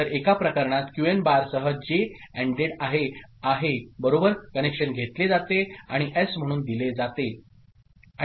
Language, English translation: Marathi, So, in one case J is ANDed with Qn bar right the connection is taken, and fed as S